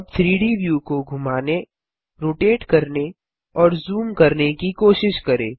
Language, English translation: Hindi, Now try to pan, rotate and zoom the 3D view